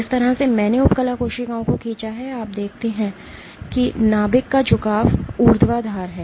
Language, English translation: Hindi, The way I have drawn the epithelial cells you see the orientation of the nucleus is vertical